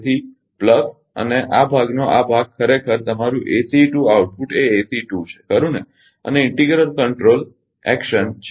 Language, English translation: Gujarati, So, plus and this part these part actually your ACE 2 output is ACE 2 right and integral control integral control action is there